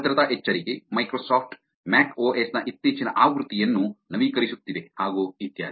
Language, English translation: Kannada, Security alert, Microsoft is updating the latest version of MacOS, there is an update